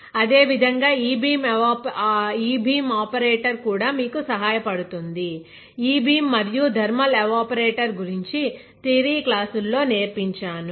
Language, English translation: Telugu, Same way, e beam operator also helps you; I have taught about e beam and thermal evaporator in a theory class